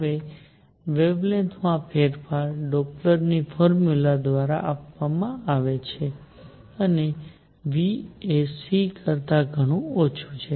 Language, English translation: Gujarati, Now change in the wavelength is given by Doppler’s formula and v is much much less than c